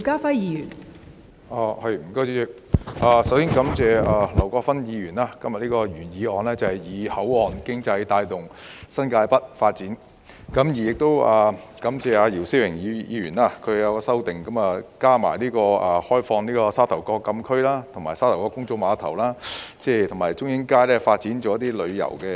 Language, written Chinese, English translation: Cantonese, 代理主席，我首先感謝劉國勳議員今天提出"以口岸經濟帶動新界北發展"的原議案，亦感謝姚思榮議員提出的修正案，加入"開放部分沙頭角墟禁區，利用沙頭角公眾碼頭發展海上旅遊及中英街發展邊境旅遊"。, Deputy President I would like to first thank Mr LAU Kwok - fan for proposing the original motion on Driving the development of New Territories North with port economy today . I also thank Mr YIU Si - wing for proposing an amendment to add partially open up the closed area of Sha Tau Kok Town and make use of the Sha Tau Kok Public Pier to develop marine tourism and Chung Ying Street to develop boundary tourism